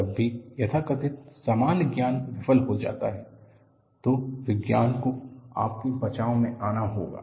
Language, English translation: Hindi, See, whenever the so called commonsense fails, science has to come to your rescue